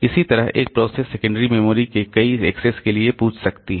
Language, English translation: Hindi, Similarly, a process can ask for a number of accesses to the secondary storage